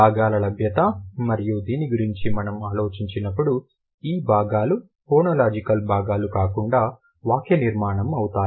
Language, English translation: Telugu, When we think about the availability of constituents, and these constituents are not syntactic ones, rather the phonological constituents